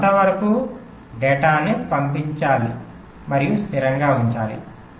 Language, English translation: Telugu, you have to feed the data and keep it stable